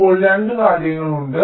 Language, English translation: Malayalam, ok, now there are two things